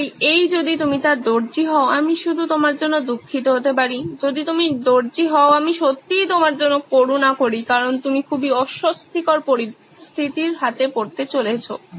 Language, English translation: Bengali, So in this if you are the tailor I only pity you, if you are the tailor, I really pity you because you are going to have a very uncomfortable situation in your hands